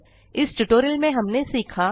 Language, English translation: Hindi, In this tutorial,we learnt to, 1